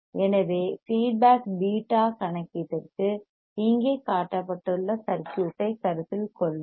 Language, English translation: Tamil, So, foar the feedback beta calculation, ; let us consider the circuit which is shown here